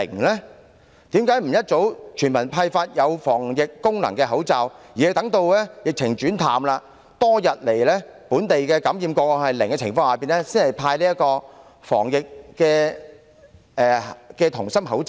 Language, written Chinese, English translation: Cantonese, 為甚麼不及早全民派發具有防疫功能的口罩，要待疫情轉趨緩和，本地感染個案多日維持為零宗的情況下，才派發"銅芯抗疫口罩"？, How come the Government has not taken early action to distribute face masks which can meet the anti - epidemic purpose to all people but has to wait until the epidemic has eased and the number of local infection cases has remained zero for many days to distribute the CuMask™?